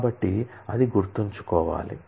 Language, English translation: Telugu, So, that has to be kept in mind